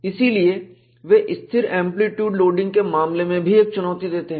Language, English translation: Hindi, So, they pose a challenge, even in the case of constant amplitude loading